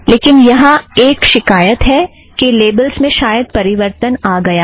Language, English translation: Hindi, There is a complaint saying that labels have changed